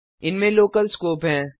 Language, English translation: Hindi, These have local scope